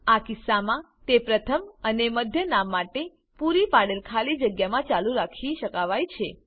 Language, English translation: Gujarati, In that case, it can be continued in the space provided for First and Middle Name